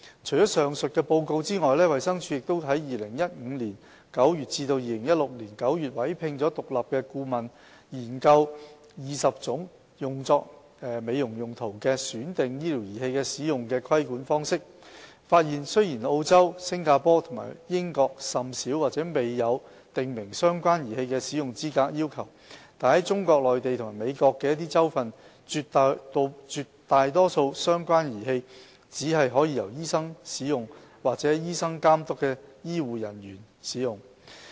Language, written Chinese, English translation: Cantonese, 除上述報告外，衞生署亦於2015年9月至2016年9月委聘了獨立顧問研究20種用作美容用途的選定醫療儀器的使用規管方式，發現雖然澳洲、新加坡和英國甚少或沒有訂明相關儀器的使用資格要求，但在中國內地和美國的一些州份，絕大多數相關的儀器只可由醫生使用或在醫生監督下的醫護人員使用。, Apart from the Report above DH also commissioned an independent consultant from September 2015 to September 2016 to conduct a study on the use control of 20 types of selected medical devices for cosmetic purposes . It was observed that although Australia Singapore and the United Kingdom have little or no qualification requirements for medical devices used for cosmetic purposes use of most medical devices for cosmetic purposes in the Mainland China and in some states of the United States is restricted to medical practitioners or HCPs under supervision by medical practitioners